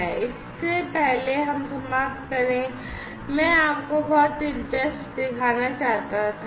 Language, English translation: Hindi, So, before we end I wanted to show you something very interesting